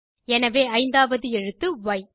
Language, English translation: Tamil, Therefore, the 5th character is Y